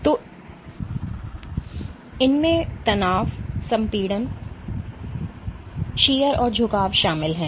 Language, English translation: Hindi, So, these include tension, compression, shear and bending